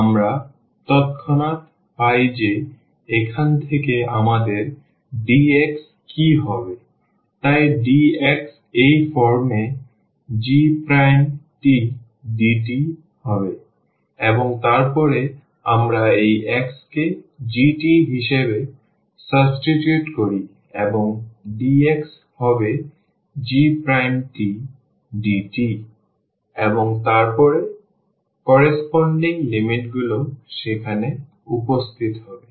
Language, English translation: Bengali, We immediately get that what would be our dx from here, so dx would be g prime t and dt in this form and then we substitute this x as g t and dx will be the g prime t dt and then the corresponding the limits will appear there